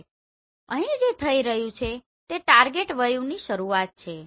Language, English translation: Gujarati, So what is happening here this is the beginning of the target view